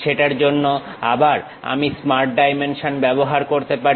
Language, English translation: Bengali, For that again I can use smart dimension